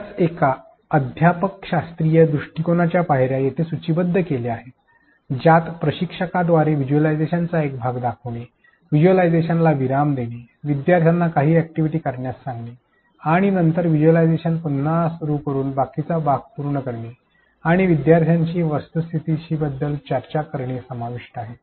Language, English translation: Marathi, The steps for one such pedagogical approach have been listed here which involves showing a part of the visualization by the instructor, pausing the visualization, asking the learners to perform some activity and then resume the visualization and show the rest and discuss about the phenomenon with the students